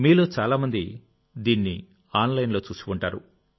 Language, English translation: Telugu, Most of you must have certainly seen it online